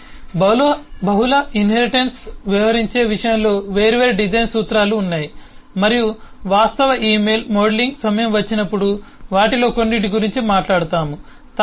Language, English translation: Telugu, so there are different design principles relating to in terms of dealing with multiple inheritance, and we will talk about some of those when the time of actual email modelling comes